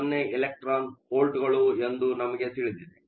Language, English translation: Kannada, 10 electron volts